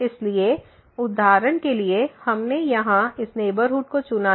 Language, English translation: Hindi, So, for example, we have chosen this neighborhood here